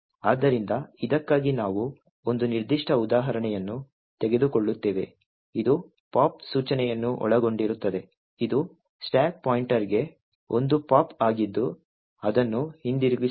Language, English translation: Kannada, So, for this we take this particular example of a gadget comprising of a pop instruction which is a pop to the stack pointer itself followed by a return